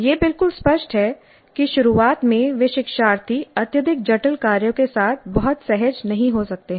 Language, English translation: Hindi, Now it's quite obvious that at the very beginning the learners may not be very comfortable with highly complex tasks